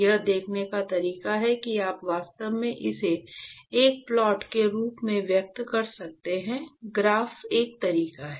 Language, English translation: Hindi, In fact, the way to see that is you can actually express it in terms of a plot a graph is one way